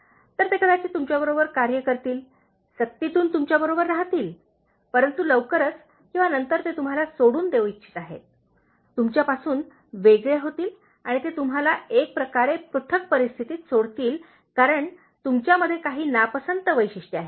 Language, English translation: Marathi, So, they may work with you, stay with you, out of compulsion, but sooner or later they would like to leave you, be cut off from you and it will leave you in a kind of isolated situation just because you possessed some dislikeable traits